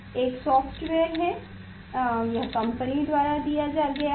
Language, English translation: Hindi, There is a software, this is given by the company